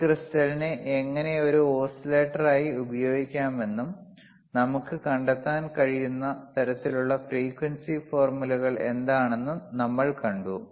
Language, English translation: Malayalam, tThen we have seen how we can use this crystal as an oscillator and what are the kind of frequency formulae that we can find